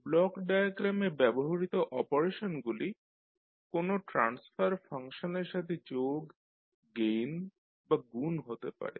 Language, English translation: Bengali, So the operations used in block diagram are, can be the summations or maybe gain or multiplication by a transfer function